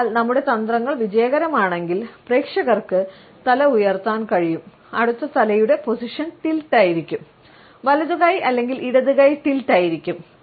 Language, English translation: Malayalam, So, if our tactics are successful, the audience would be able to raise up the head and the next head position would be a tilt, either the right hand or a left hand tilt